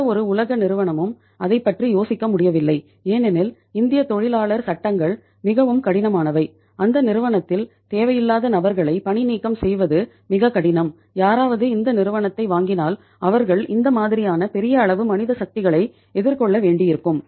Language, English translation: Tamil, No world company could think of that because of the very stiff Indian labour laws when you cannot remove the people who are not required in the company if somebody had to take over the company they have to face the music with this kind of the labour, huge manpower